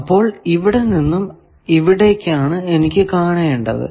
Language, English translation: Malayalam, So, from here to here, I want to find